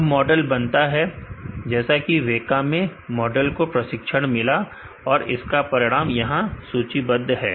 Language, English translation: Hindi, Now, the model building is done the WEKA trained your model and, the results are listed here